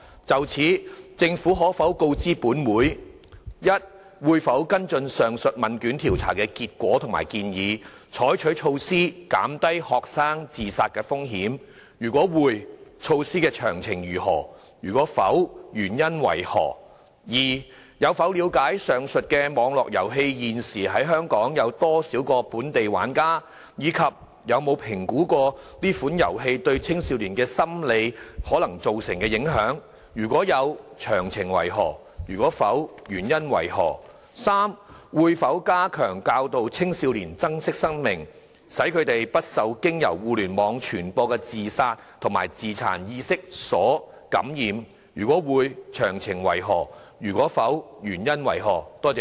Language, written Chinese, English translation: Cantonese, 就此，政府可否告知本會：一會否跟進上述問卷調查的結果及建議，採取措施減低學生自殺風險；如會，措施的詳情為何；如否，原因為何；二有否了解上述網絡遊戲現時有多少個本地玩家，以及有否評估該款遊戲對青少年心理可能造成的影響；如有，詳情為何；如否，原因為何；及三會否加強教導青少年珍惜生命，使他們不受經由互聯網傳播的自殺及自殘意識所感染；如會，詳情為何；如否，原因為何？, In this connection will the Government inform this Council 1 whether it will follow up the findings and recommendations of the aforesaid survey and take measures to reduce the risks of students committing suicide; if so of the details of the measures; if not the reasons for that; 2 whether it has gained an understanding about the number of local players of the aforesaid online game and assessed the possible psychological impacts of that game on young people; if so of the details; if not the reasons for that; and 3 whether it will step up efforts in educating young people to cherish their lives so that they may be immune to the influence of ideas of suicide and self - mutilation disseminated through the Internet; if so of the details; if not the reasons for that?